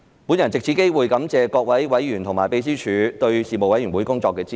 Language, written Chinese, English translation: Cantonese, 我藉此機會感謝各位委員和秘書處對事務委員會工作的支持。, I would like to take this opportunity to thank members and the Secretariat for their support for the work of the Panel